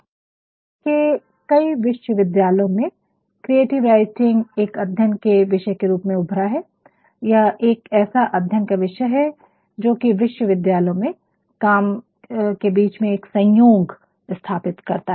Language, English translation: Hindi, Creative writing as a discipline has emerged in several universities all around the globe and it is a discipline which can create synthesis between work in universities